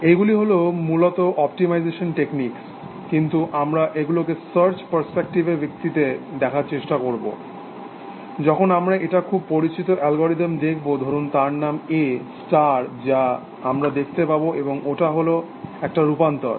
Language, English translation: Bengali, These are basically optimization techniques, but we will try to see them from the search perspective, when we will look at, very well known algorithm called A star and it is variations, which we will see